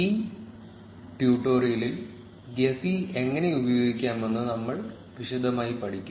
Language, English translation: Malayalam, In this tutorial, we will learn in detail how to use gephi